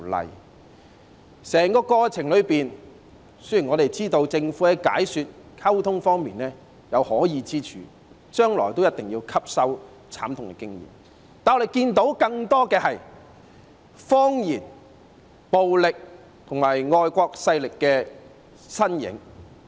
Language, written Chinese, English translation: Cantonese, 在整個過程中，雖然我們知道政府在解說和溝通方面有可議之處，將來也一定要吸收這慘痛經驗；但我們看到更多的是謊言、暴力和外國勢力的身影。, Throughout the process while we understand that the Governments approach in giving explanations and in communication is arguable and the Government definitely has to learn this tragic lesson what we have seen more are lies violence and signs of foreign forces